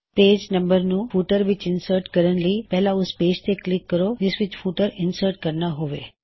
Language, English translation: Punjabi, To insert page numbers in the footer, we first click on the page where we want to insert the footer